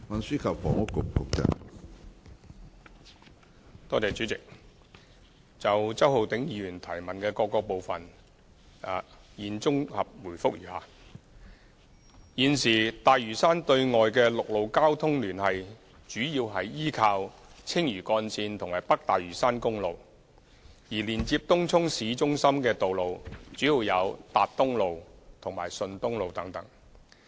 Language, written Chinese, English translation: Cantonese, 主席，就周浩鼎議員質詢的各個部分，現答覆如下：一現時大嶼山對外的陸路交通聯繫主要依靠青嶼幹線和北大嶼山公路，而連接東涌市中心的道路主要有達東路和順東路等。, President my reply to the various parts of Mr Holden CHOWs question is consolidated as follows 1 At present the main external land transport links for Lantau Island are by Lantau Link and North Lantau Highway while the roads linking up Tung Chung Town Centre are mainly Tat Tung Road and Shun Tung Road etc